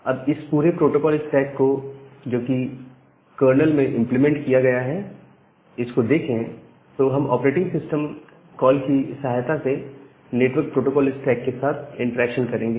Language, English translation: Hindi, So, this entire protocol stack that is implemented inside the kernel we will make an interaction with that network protocol stack with the help of the operating system system calls